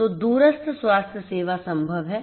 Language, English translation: Hindi, So, remote healthcare is possible